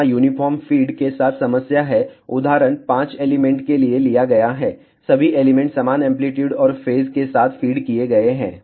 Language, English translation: Hindi, The problem with the uniform feed is here the example is taken for 5 elements all the elements are fed with uniform amplitude and phase